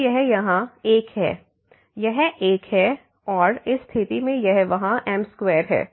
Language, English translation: Hindi, So, this is 1 here, this is 1 and in this case it is a there as square